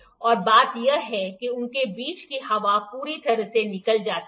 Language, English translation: Hindi, And the thing is that the air between them is completely removed, air is removed